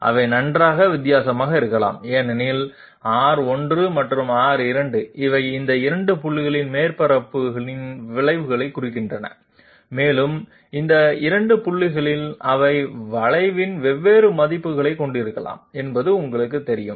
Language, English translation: Tamil, They can well be different because R 1 and R 2, they represent the curvatures of the surface at these 2 points and at these 2 points they are you know they can have different values of curvature